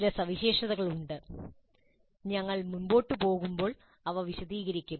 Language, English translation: Malayalam, Now there are certain features we'll elaborate them as we go along